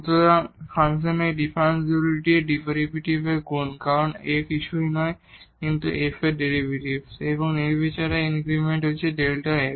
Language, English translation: Bengali, So, this differential of the function is the product of its derivative because A is nothing, but the derivative of this f and the arbitrary increment delta x